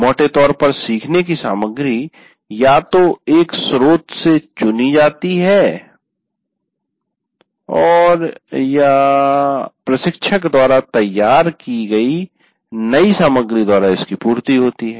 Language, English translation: Hindi, So learning material either it is chosen from a source or supplemented by material prepared by the instructor